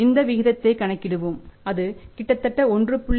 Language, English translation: Tamil, We calculate the ratio if it is around 1